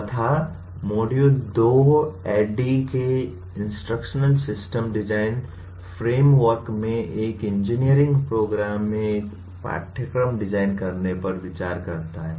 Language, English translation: Hindi, And module 2 looks at designing a course in an engineering program in the Instructional System Design framework of ADDIE